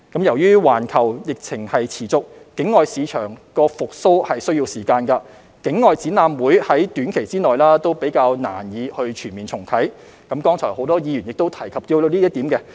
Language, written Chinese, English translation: Cantonese, 由於環球疫情持續，境外市場復蘇需時，境外展覽會於短期內難以全面重啟，剛才亦有很多議員提及到這點。, As the global epidemic lingers on overseas markets will take some time to recover; and overseas exhibitions are unlikely to fully resume within a short period of time . Many Members have just mentioned this point